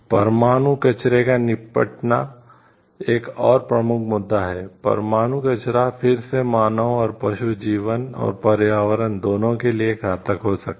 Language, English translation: Hindi, Disposition of nuclear waste is another major issue, nuclear waste can again be deadly to both human and animal life as well as the environment